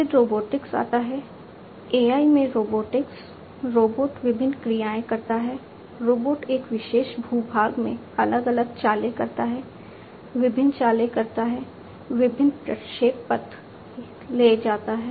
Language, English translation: Hindi, Then comes robotics AI in robotics, you know, robot performing different actions, you know robot making different moves, in a particular terrain, performing different moves, taking different trajectories, etcetera